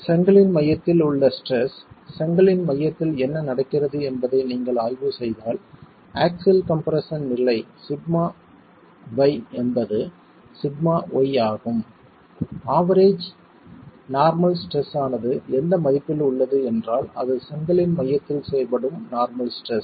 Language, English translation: Tamil, The stress at the center of the brick, if you were to examine what is happening at the center of the brick, the axial compression level, sigma b is sigma y, we are assuming that the average normal stress is the value which is the normal stress acting at the center of the brick